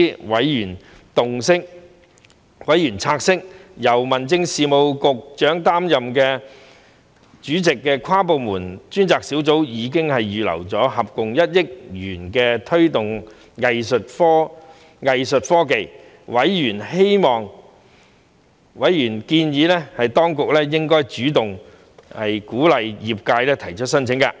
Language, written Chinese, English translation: Cantonese, 委員察悉由民政事務局局長擔任主席的跨部門專責小組已預留合共1億元推動藝術科技，並建議當局應主動鼓勵業界提出申請。, Members noted that the inter - departmental task force chaired by the Secretary for Home Affairs had set aside a total of 100 million for promoting arts tech and suggested that the Administration should actively encourage applications from the industry